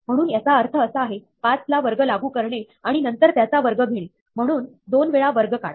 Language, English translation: Marathi, So, what this means is, apply square of 5, and then, square of that; so, do square twice